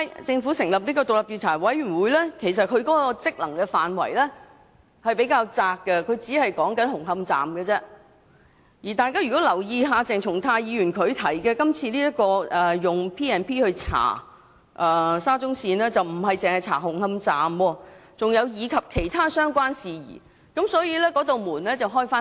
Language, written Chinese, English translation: Cantonese, 政府成立的調查委員會的職能範圍較窄，只局限於紅磡站，而如果大家有留意鄭松泰議員提出的議案，他建議根據《條例》調查沙中線工程，調查的不止是紅磡站，還包括其他相關事宜，所以調查範圍會較闊。, The terms of reference of the Committee of Inquiry set up by the Government is rather narrow in scope and the inquiry is only confined to Hung Hom Station . If Members have paid attention to the motion moved by Dr CHENG Chung - tai they would know that he proposes to invoke the Ordinance to inquire into the SCL project and other related matters but not merely matters related to Hung Hom Station . The scope of investigation is thus wider